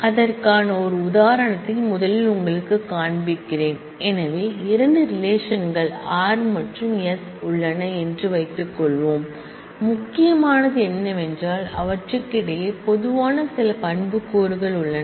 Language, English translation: Tamil, Let me first show you an example of that, suppose I have 2 relations r and s and what is important is there are some attributes which are common between them